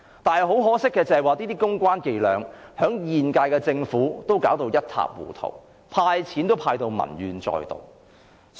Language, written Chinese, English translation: Cantonese, 但是，很可惜，這些公關伎倆被現屆政府弄至一塌糊塗，"派錢"也落得民怨載道。, Unfortunately these public relations tactics have been all messed up by the current - term Government which has aroused peoples grievances even by making a cash handout